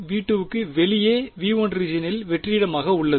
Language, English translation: Tamil, Only inside v 2 outside v 2 in the region v 1 its vacuum